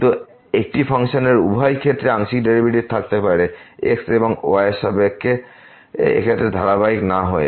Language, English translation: Bengali, But in this case a function can have partial derivatives with respect to both and at a point without being continuous there